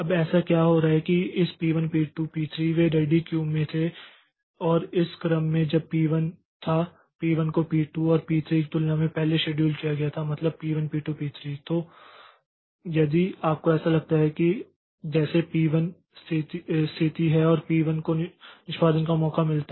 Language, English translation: Hindi, Now what is happening is that so this P1, P2, P3 they were in the ready Q and in this order when P1 was, P1 was scheduled earlier than P2 and P3 then while so P1 P2 P3 so if you as if P1 this is the situation and P1 gets chance for execution so it gets a gets a CPU for execution